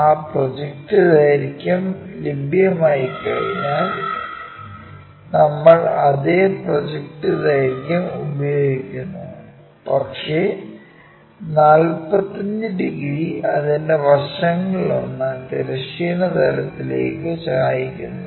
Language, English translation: Malayalam, Once that projected length is available we use the same projected length, but with a 45 degrees because is making one of its sides with its surfaces 45 degrees inclined to horizontal plane